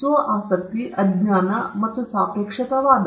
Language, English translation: Kannada, Self interest, ignorance, and relativism